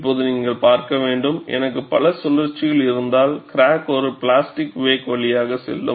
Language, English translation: Tamil, Now, you have to see, if I have multiple cycles, the crack will go through a plastic wake; we will see that also